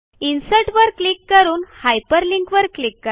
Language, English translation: Marathi, Click on Insert and Hyperlink